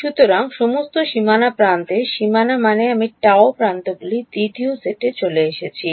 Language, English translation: Bengali, So, all the boundary edges boundary I mean the gamma prime edges have come into the second set